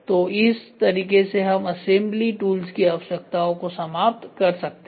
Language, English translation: Hindi, So, eliminate the need for assembly tools right